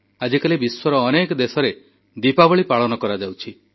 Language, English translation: Odia, These days Diwali is celebrated across many countries